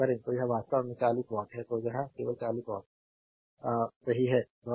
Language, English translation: Hindi, So, it is actually 40 watt; so power delivered by this only is 40 watt right